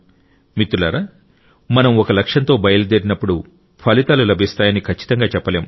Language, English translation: Telugu, And friends, when we set out with a goal, it is certain that we achieve the results